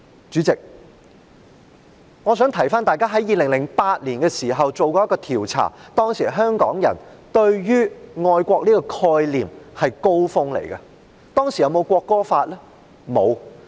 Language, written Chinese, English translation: Cantonese, 主席，我想提醒大家 ，2008 年曾進行一項調查，當時香港人對於愛國的概念是達到"高峰"的，當時有沒有國歌法？, President I wish to remind Members that a survey conducted in 2008 showed that patriotism was at its peak among Hongkongers . Was there a national anthem law back then?